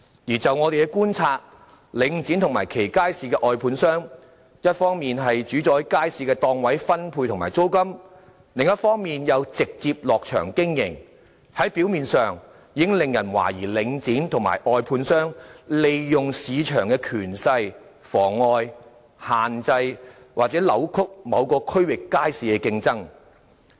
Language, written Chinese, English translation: Cantonese, 而就我們的觀察，領展及其街市的外判商，一方面主宰街市的檔位分配和租金，另一方面又直接"落場"經營；表面上，已令人懷疑領展及其外判商，利用市場權勢妨礙、限制或扭曲某個區域街市的競爭。, According to our observation Link REIT and its contractors of markets dominate stall allocation and rents on the one hand and directly engage in business operation in markets on the other . It has already aroused suspicion on the surface that Link REIT and its contractors are using their market influence to obstruct restrain and distort competition in markets in certain districts